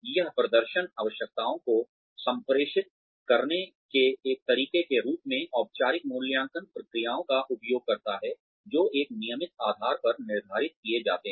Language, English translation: Hindi, It uses, formal appraisal procedures, as a way of communicating performance requirements, that are set on a regular basis